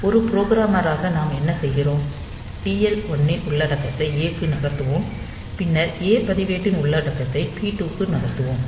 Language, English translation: Tamil, So, as a programmer what we do we move the content of TL 1 registered to A, and then move the content of a register to P 2